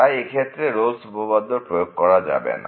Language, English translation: Bengali, So, the Rolle’s Theorem is not applicable in this case